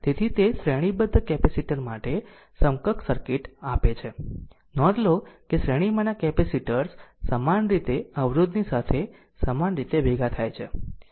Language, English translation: Gujarati, So, it gives the equivalence circuit for the series capacitor, note that capacitors in series combine in the same manner of resistance in parallel